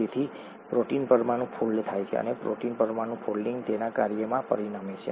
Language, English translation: Gujarati, Therefore the protein molecule folds and the folding of the protein molecule is what results in its function